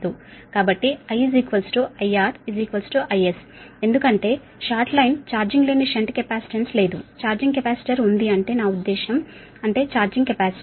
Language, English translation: Telugu, so i is equal to i, r is equal to i s, because short line as no row shunt capacitance, there there is a charging capacitor such that i mean that is that charging capacitance